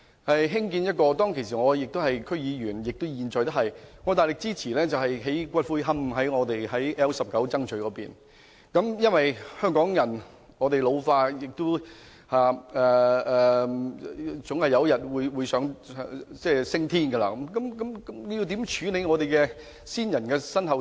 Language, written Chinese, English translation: Cantonese, 我現在還是屯門區議會議員，當時我大力支持在屯門 L19 區曾咀興建骨灰龕場，因為香港人口老化，人總有日會升天，應如何處理先人的身後事？, I am still a member of the Tuen Mun District Council . Back then I strongly supported the construction of a columbarium at Area L19 Tsang Tsui in Tuen Mun . As Hong Kongs population is ageing and death is a normal part of human life how should we make after - death arrangements for the deceased?